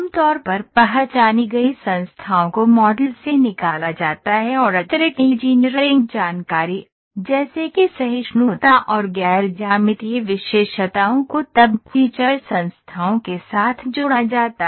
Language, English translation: Hindi, Usually identifying entities are extracted from the model and additional engineering information, such as tolerance and non geometric attributes, are then associated with the feature entity